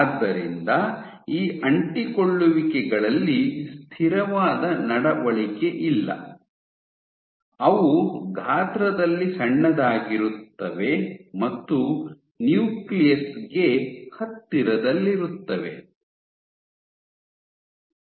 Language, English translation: Kannada, So, there is no constant behavior among these adhesions which are small in size and close localized close to the nucleus